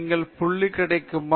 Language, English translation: Tamil, Are you getting the point